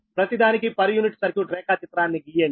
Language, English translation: Telugu, draw the per unit circuit diagram